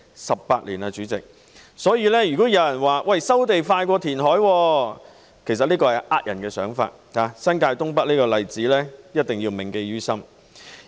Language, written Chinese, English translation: Cantonese, 代理主席 ，18 年已過去，如果有人說收地較填海快，只是騙人的說法，新界東北這例子一定要銘記於心。, Deputy President 18 years has passed . It is a lie to say that the resumption of land takes shorter time than reclamation . We must bear in mind the example of the North East New Territories development